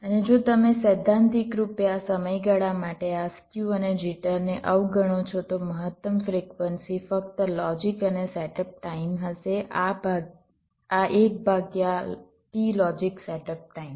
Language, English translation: Gujarati, and if you ignore this skew and jitter, for the time been, theoretically the maximum frequency would have been just the logic and setup times, just one by t logic setup time